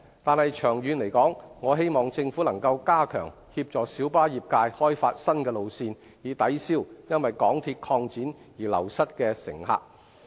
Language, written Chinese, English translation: Cantonese, 但是，長遠而言，我希望政府能加強協助小巴業界開發新路線，以抵銷因為港鐵擴展而流失的乘客。, That said I hope that the Government will step up its efforts in assisting the light bus trade in developing new routes in the long run so as to offset the loss of passengers due to the expansion of the MTR network